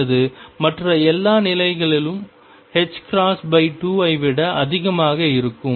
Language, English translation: Tamil, Or all other states is going to be greater than h cross by 2